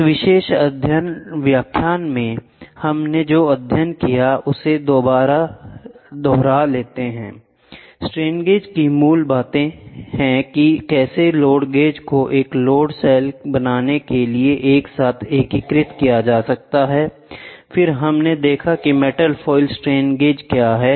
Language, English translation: Hindi, To recap what we studied in this particular lecture is basics of strain gauge how strain gauges can be integrated together to form a load cell, then we saw what is metal foil strain gauges